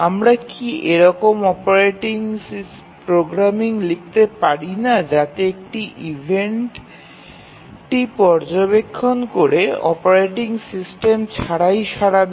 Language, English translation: Bengali, Can’t the programming itself we write so that it monitors the event and responds without operating system